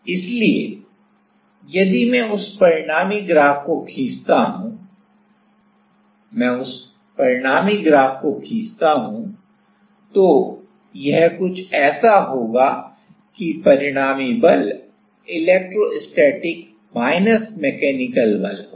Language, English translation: Hindi, So, if I draw that resultant graph if I draw the resultant graph then it will be something like that resultant force will be like electrostatic minus the mechanical force